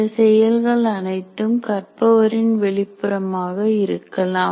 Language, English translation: Tamil, And these events can be external to the learner